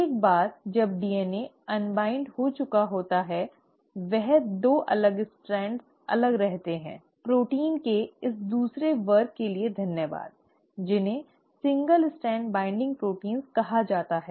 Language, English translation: Hindi, Once the DNA has been unwound the 2 separated strands remain separated thanks to the second class of proteins which are called as single strand binding proteins